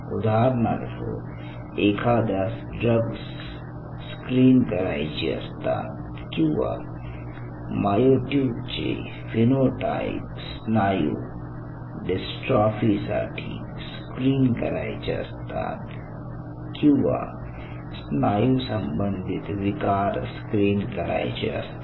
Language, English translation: Marathi, so see, for example, one wants to screen drugs or screen phenotypes of myotubes for muscular dystrophy or any kind of muscle related disorders or other muscle disorders